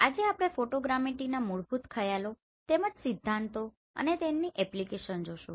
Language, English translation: Gujarati, Today we will see basic concepts as well as the principles of Photogrammetry and their application